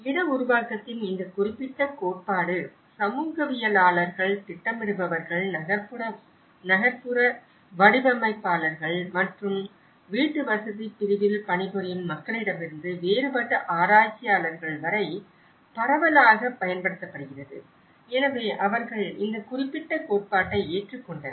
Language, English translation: Tamil, And this particular theory of production of space has been widely used from different researchers varying from sociologists, planners, urban designers and even the people working in the housing segment so they have adopted this particular theory